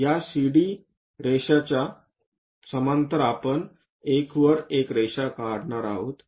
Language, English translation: Marathi, Parallel to this CD line we are going to draw a line at 1